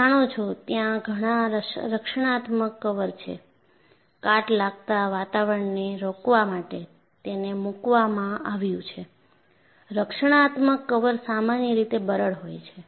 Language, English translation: Gujarati, And you know, many protective coating, you put to prevent corrosive environment; the protective coatings are in general, brittle